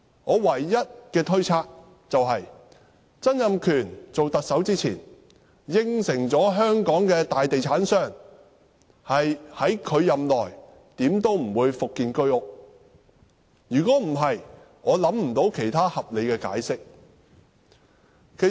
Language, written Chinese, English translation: Cantonese, 我唯一的推測是，曾蔭權在擔任特首前，答允香港的大地產商，他任內無論如何不會復建居屋；否則，我想不到其他合理的解釋。, I surmised that Donald TSANG had promised the prime real estate developers of Hong Kong before taking office that the construction of HOS flats would not be resumed within his term of office; other than this reason I could not think of any reasonable explanation